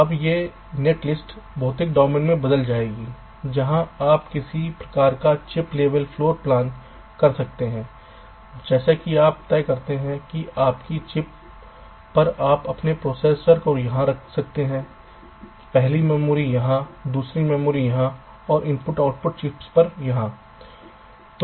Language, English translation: Hindi, now this net list would translate in to physical domain where you do some kind of a chip level floor plant, like you decide that on your chip you can place your processor here, first memory here, second memory here, the i o, chips here